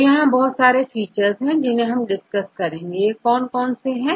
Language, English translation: Hindi, So, there are various features we discussed, what various features we discussed till now